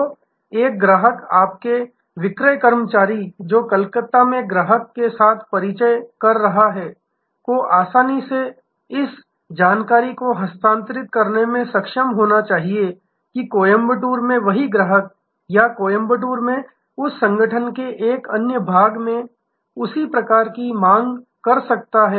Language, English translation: Hindi, So, a customer, your sales person who is having an introduction with the customer in Calcutta should be able to easily transfer this information, that the same customer in Coimbatore or one another part of that organization in Coimbatore may have a similar demand